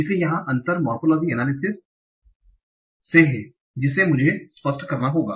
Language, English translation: Hindi, So the difference here is from the morphological analysis that I also have to disambiguid